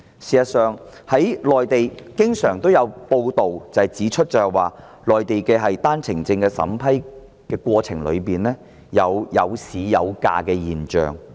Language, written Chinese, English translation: Cantonese, 事實上，內地經常有報道指出，內地的單程證審批過程中，存在"有市有價"的現象。, In fact it is often reported on the Mainland that in the process of vetting and approving OWP applications there is a phenomenon of OWPs being marketable at good prices